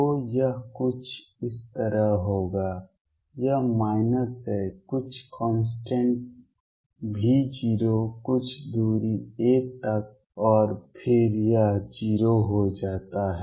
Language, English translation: Hindi, So, that would be something like this it is minus say some constant V 0 up to a distance a and then it becomes 0